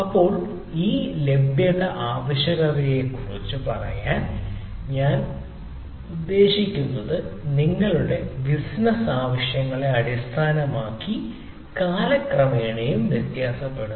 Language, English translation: Malayalam, now what i mean to say, this availability requirement me also vary over time, right, based on your business requirements, right, so based on your requirement